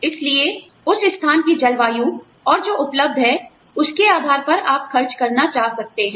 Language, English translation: Hindi, So, depending on the climate of that place, and what is available, you might want to spend